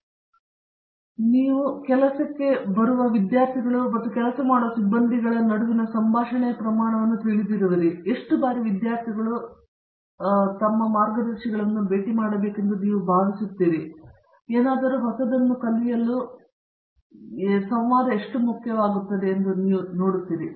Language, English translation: Kannada, So, what do you see as, you know the amount of interaction that must exist between say students coming in and the faculty that they working with, how often you feel they need to meet them, to you know optimally learn something at the same time do something new, how much do you see of this interaction being necessary to what how important to it is how often should it happen